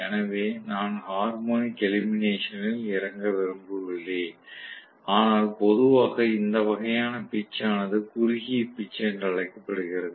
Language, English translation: Tamil, So, I do not want to get into the harmonic elimination, but generally this kind of pitch is known as short pitching